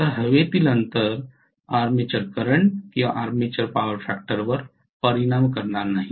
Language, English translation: Marathi, So the air gap will not affect the armature current or armature power factor, right